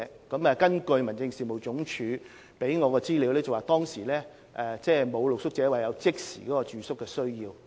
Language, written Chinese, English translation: Cantonese, 根據民政事務總署給我的資料，當時沒有露宿者表示有即時住宿需要。, According to the information I obtained from HAD no street sleeper indicated a need for immediate accommodation